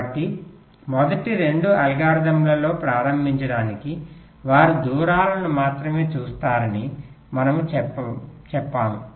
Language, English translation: Telugu, so to start with the first two algorithms we talked about, they will be looking at only the distances